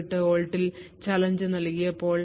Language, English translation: Malayalam, 08 volts in this particular example